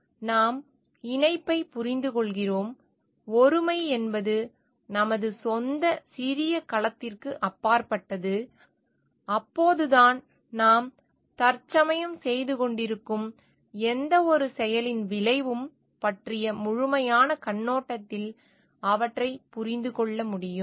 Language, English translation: Tamil, We understand the connectivity the oneness transcend beyond our own small cell, then only we can understand the from a holistic perspective of the effect of anything that we are presently doing